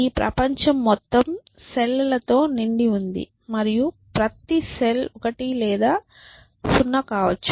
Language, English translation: Telugu, And that is about it this whole world is full of cells and each cell can be 1 or 0